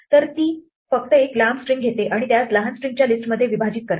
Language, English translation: Marathi, So, it just takes a long string and splits it into a list of smaller strings